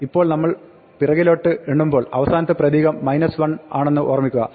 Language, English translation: Malayalam, Now, remember that we when we count backwards minus 1 is the last character